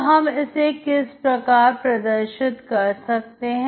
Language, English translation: Hindi, So how do we show this